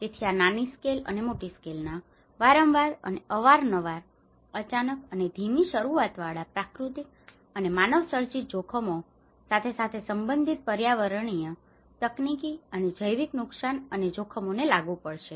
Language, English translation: Gujarati, So this will apply to the risk of small scale and large scale, frequent and infrequent, sudden and slow onset disaster caused by natural and man made hazards as well as related environmental, technological and biological hazards and risks